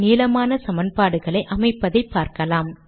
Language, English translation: Tamil, We will now see how to accommodate long equations